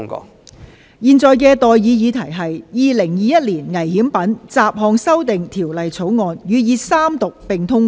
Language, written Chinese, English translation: Cantonese, 我現在向各位提出的待議議題是：《2021年危險品條例草案》予以三讀並通過。, I now propose the question to you and that is That the Dangerous Goods Bill 2021 be read the Third time and do pass